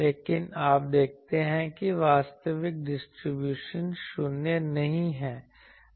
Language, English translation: Hindi, So, you see that, but that actual distribution that is not zero